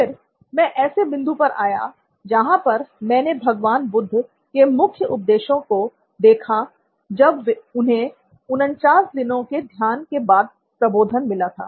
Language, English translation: Hindi, Then, I came to this point where I saw the main teachings of Lord Buddha when he attained his enlightenment after 49 days of meditation